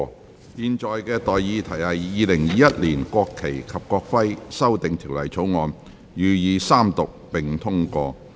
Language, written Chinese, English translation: Cantonese, 我現在向各位提出的待議議題是：《2021年國旗及國徽條例草案》予以三讀並通過。, I now propose the question to you and that is That the National Flag and National Emblem Amendment Bill 2021 be read the Third time and do pass